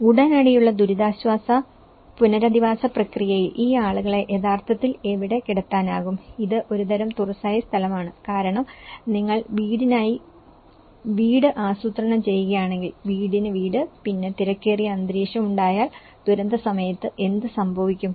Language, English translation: Malayalam, In the immediate relief and rehabilitation process, where can we actually put these people, what kind of open area because if you keep planning house for house, house for house and then if you make it as the congested environment, so what happens during a disaster